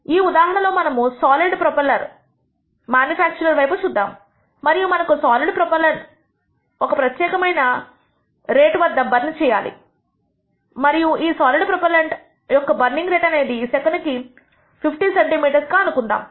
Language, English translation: Telugu, In this case we have looked at a manufacturer of a solid propellant and we want this solid propellant to burn at a certain rate and this burning rate of the solid propellant is speci ed to be let us say 50 cm per second